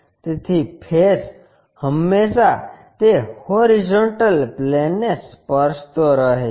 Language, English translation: Gujarati, So, the face is always be touching that horizontal plane